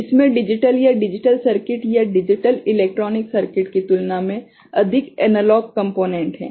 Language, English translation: Hindi, It has got more analog component than digital or digital circuit digital electronic circuit